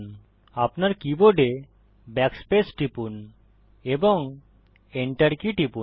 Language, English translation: Bengali, Press Backspace on your keyboard and hit the enter key